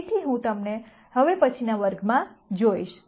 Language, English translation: Gujarati, So, I will see you in the next class